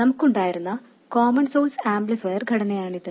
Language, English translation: Malayalam, This is the common source amplifier structure we had